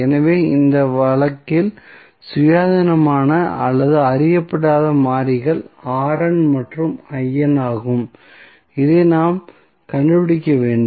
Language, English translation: Tamil, So, what the independent or the unknown variables in this case are R n and I n and this is we have to find out